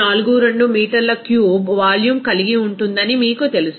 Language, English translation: Telugu, 42 meter cube of volume